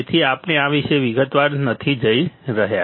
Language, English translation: Gujarati, So, we I am not going into detail about this